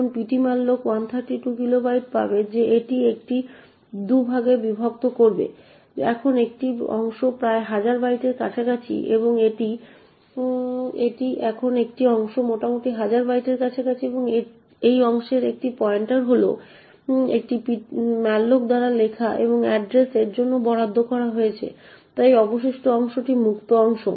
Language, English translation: Bengali, Now ptmalloc would obtain that 132 kilobytes it would split it into 2 parts, now one part is roughly around thousand bytes and this… Now one part is roughly around thousand bytes and a pointer to this part is what is written by a malloc and assigned to address, so the remaining part is the free part